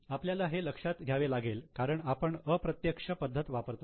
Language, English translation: Marathi, We will need to consider it because we are following indirect method